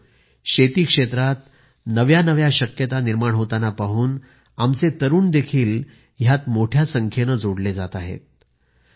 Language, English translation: Marathi, Friends, with emerging possibilities in the agriculture sector, more and more youth are now engaging themselves in this field